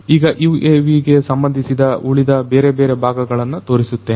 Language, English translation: Kannada, Now, let me show you the other parts of the UAV